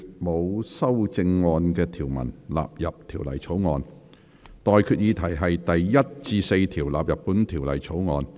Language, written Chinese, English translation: Cantonese, 我現在向各位提出的待決議題是：第1至4條納入本條例草案。, I now put the question to you and that is That clauses 1 to 4 stand part of the Bill